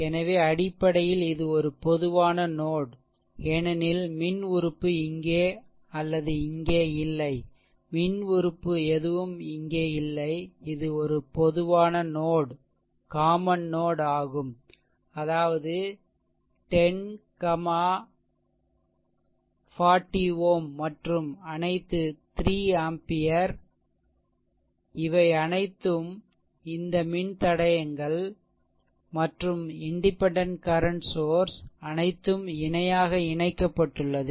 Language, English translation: Tamil, So, basically this is a this is a common node because no electrical element is here or here, no electrical element is here, it is a common node; that means, 10 ohm, 40 ohm and all 3 ampere, they all these all these resistors as well as the independent current source all actually connected in parallel, right